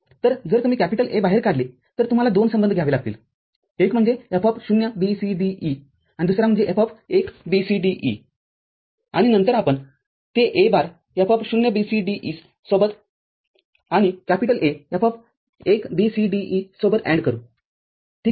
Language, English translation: Marathi, So, if you take A out, so then you have to get two relationship, one is F(0,B,C,D,E) and another is F(1,B,C,D,E) and then we shall AND it with A bar F(0,B,C,D,E) and A F(1,B,C,D,E) ok